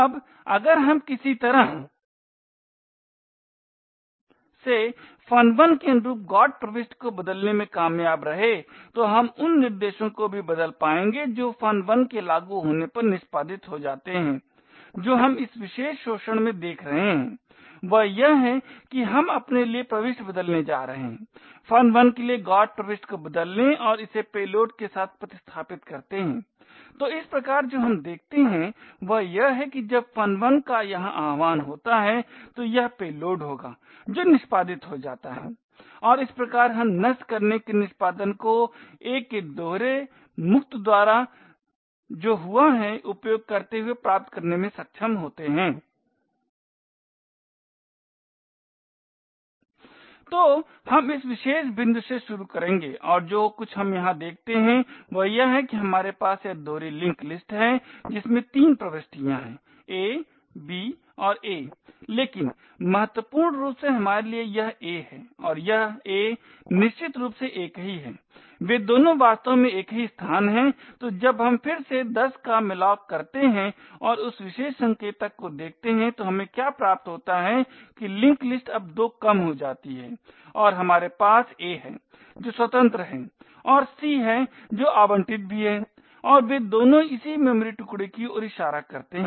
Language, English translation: Hindi, Now if we somehow managed to change the GOT entry corresponding to function 1 we will also be able to change the instructions that get executed when function 1 gets invoked what we will be seeing in this particular exploit is that we are going to change the entry for we are going to change the GOT entry for function 1 and replace it with the payload, so thus what we see is that when function 1 gets invoked over here it would be the payload that gets executed and thus we are able to achieve a subverting of the execution using the double free of the a that has occurred